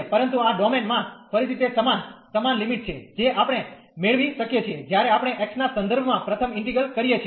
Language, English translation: Gujarati, But, in this domain again it is a same similar limits we can get, when we integrate first with respect to x